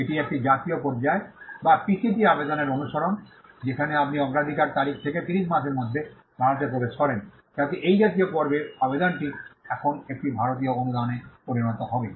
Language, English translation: Bengali, It is a national phase, or the follow up of a PCT application, where you enter India within 30 months from the date of priority, so that, this national phase application will now become an Indian grant